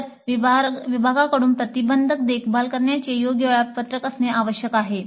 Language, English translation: Marathi, So there must be an appropriate preventive maintenance schedule by the department